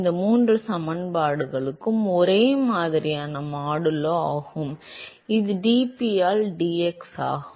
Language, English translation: Tamil, Then these three equations are similar modulo, a constant which is dP by dx